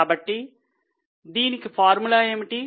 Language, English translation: Telugu, So, what is a formula